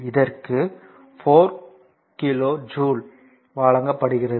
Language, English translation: Tamil, So, it is given 4 kilo joule